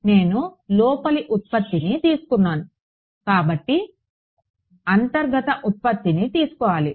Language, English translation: Telugu, I took a inner product right; so, take inner product